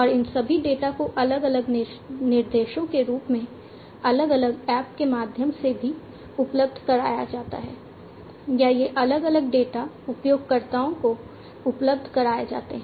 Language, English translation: Hindi, And all these data are also made available through different apps in the form of different instructions or these different data are made available to the users